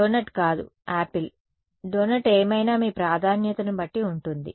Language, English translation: Telugu, Not donut is more like it, yeah apple also apple, donut whatever depending on your preference right so